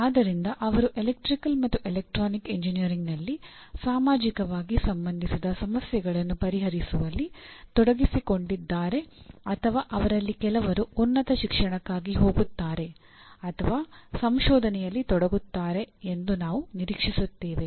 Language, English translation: Kannada, So by and large you are involved in solving socially relevant problems in electrical and electronic engineering or we expect some of them go for higher education or even involved in research